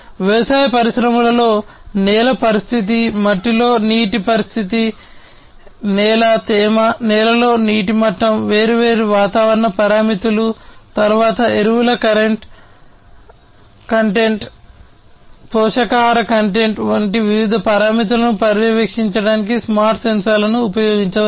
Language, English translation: Telugu, In the agricultural industries, you know, smart sensors can be used for monitoring the soil condition, water condition in the soil, soil, moisture, water level in the soil, different weather parameters, then different other parameters such as the fertilizer content, the nutrition content of the soil to be used by the plants and so on